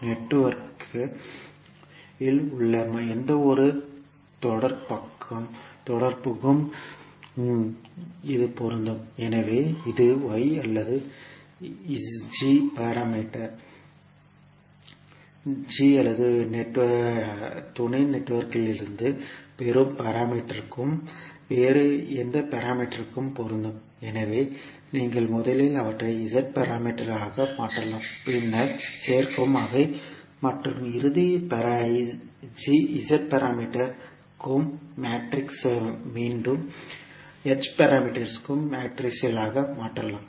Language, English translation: Tamil, So this is applicable for any type of interconnection which we may have in the network, so the same is for maybe Y or G or any other parameter which you get from the sub networks, so you can first convert them into the Z parameters, then add them and the final Z parameter matrix can be converted back into H parameters matrix